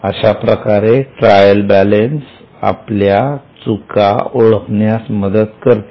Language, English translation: Marathi, This is how trial balance helps you to find out the errors